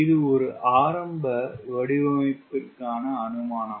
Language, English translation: Tamil, this is the initial design assumption